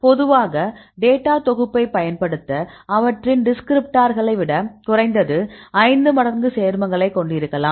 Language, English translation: Tamil, So, generally you can use the data set can contain at least 5 times as many compounds as their descriptors